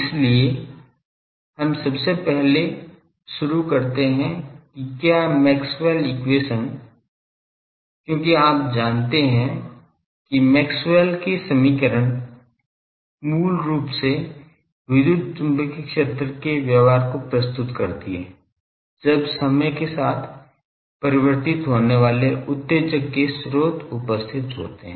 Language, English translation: Hindi, So, we first start whether Maxwell’s equation, because Maxwell’s equation you know that summarizes basically the behavior of electromagnetic fields when sources of excitation are present those are time varying sources